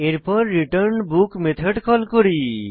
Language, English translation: Bengali, Then we call returnBook method